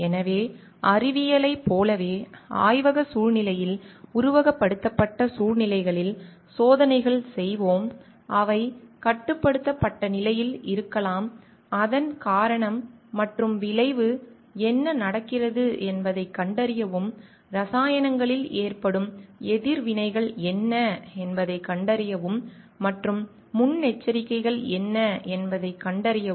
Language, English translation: Tamil, So, like in science we do experiments in labs situations in a simulated conditions may be in a controlled conditions to find out what is the cause and effect happening like and what are the reactions maybe in chemicals happening to and find out what are the precautions needs to be taken before it is done in a large scale